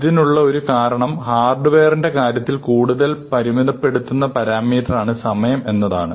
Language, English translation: Malayalam, One reason for this is, time is a rather more limiting parameter in terms of the hardware